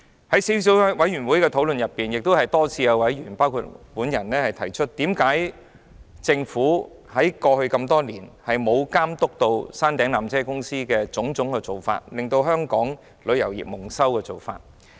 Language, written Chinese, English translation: Cantonese, 在小組委員會會議上，多次有包括我在內的委員提出，何以政府過去多年來沒有監督纜車公司的種種做法，令香港旅遊業蒙羞。, In the meetings of the Subcommittee Members including myself had raised questions repeatedly on why the Government had turned a blind eye to various practices of PTC which had brought Hong Kongs tourism industry into disrepute